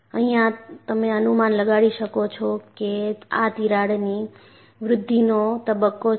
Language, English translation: Gujarati, And you could guess that, this is the growth phase of the crack